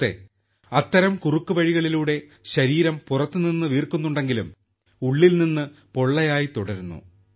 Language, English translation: Malayalam, Friend, with such shortcuts the body swells from outside but remains hollow from inside